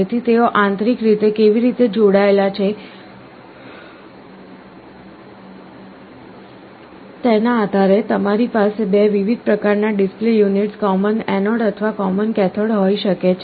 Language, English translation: Gujarati, So, depending on how they are connected internally, you can have 2 different kinds of display units, common anode or common cathode